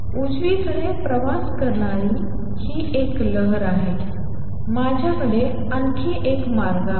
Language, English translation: Marathi, This is a wave travelling to the right, I also have another way